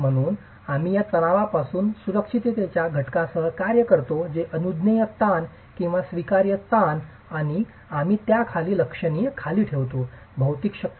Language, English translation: Marathi, So, we work with a factor of safety that comes from these stresses referred to as the permissible stresses or the allowable stresses and we keep them significantly below the material strengths